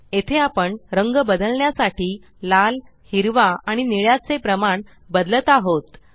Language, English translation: Marathi, Here we are changing the proportion of red, green and blue to change the color